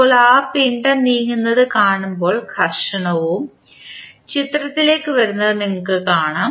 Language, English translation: Malayalam, Now, there when you see that mass moving then you will see the friction also coming into the picture